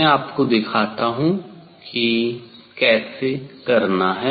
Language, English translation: Hindi, let me show you the how to do that